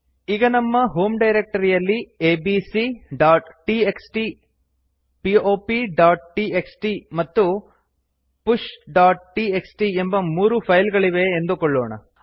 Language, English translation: Kannada, Suppose we have 3 files named abc.txt, pop.txt and push.txt in our home directory